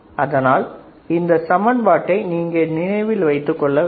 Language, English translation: Tamil, And you have to remember this equation